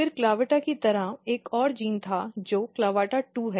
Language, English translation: Hindi, Then there was another CLAVATA like genes which is CLAVATA2